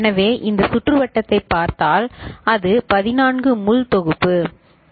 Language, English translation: Tamil, So, if we look at this circuit, it is a 14 pin package ok